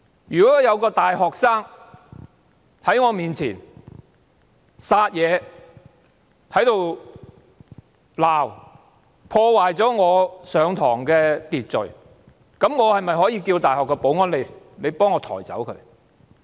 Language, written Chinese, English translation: Cantonese, 如果有一名大學生在我面前撒野、吵鬧，破壞了我的課堂秩序，我可否請大學保安員把他抬走呢？, If a university student makes a scene and yells before me ruining the order in my class can I ask the security guards in the university to carry him away?